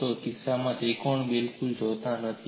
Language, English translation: Gujarati, You do not see the triangle at all in this case